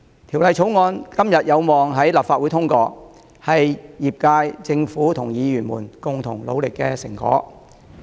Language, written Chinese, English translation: Cantonese, 《條例草案》今天有望在立法會通過，是業界、政府及議員們共同努力的成果。, The passage of the Bill by the Council today is an achievement reached by the concerted efforts of the trade the Government and fellow Members